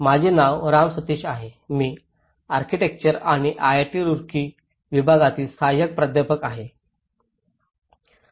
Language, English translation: Marathi, My name is Ram Sateesh I am assistant professor in Department of Architecture and planning IIT Roorkee